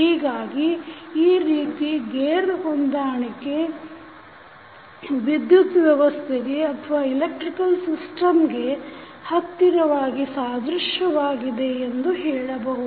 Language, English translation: Kannada, So, in this way you can say that the gear arrangement is closely analogous to the electrical system in case of the transformer